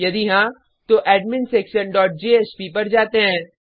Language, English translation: Hindi, If yes, then we redirect to adminsection.jsp